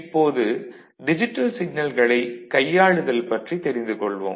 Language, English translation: Tamil, Now, we come to the manipulation of digital signals